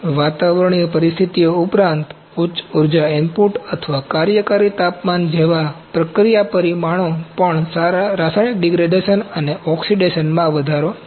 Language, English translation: Gujarati, In addition to atmospheric conditions, processing parameters such as higher energy input or working temperature can also increase chemical degradation and oxidation